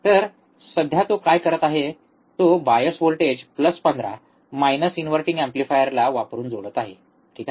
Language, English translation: Marathi, So, what he is, right now performing is he is connecting the bias voltage is plus 15, minus 15 to the inverting amplifier using op amp, alright